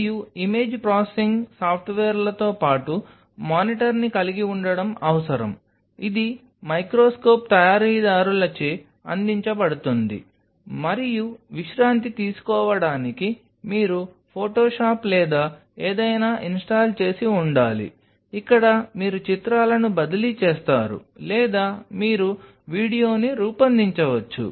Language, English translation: Telugu, And the need for having a monitor along with image processing software’s, which partly will be provided by the microscope makers and rest you may have to have a photoshop or something installed in it where you transfer the images or you found to make a video what all facilities you have ok